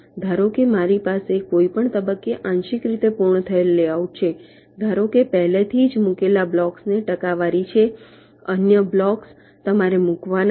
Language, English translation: Gujarati, suppose i have a partially completed layout at any stage, suppose there are already a percentage of the blocks already placed